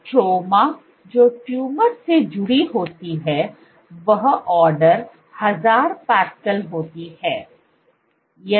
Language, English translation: Hindi, The stroma which is attached to the tumor is order 1000 pascals